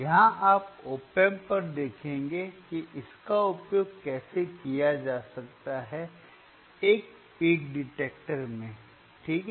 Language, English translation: Hindi, Here you will look at the op amp, how it can be use is a peak detector ok